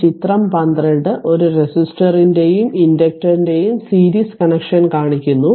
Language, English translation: Malayalam, So, this figure 12 shows the series connection of a resistor and inductor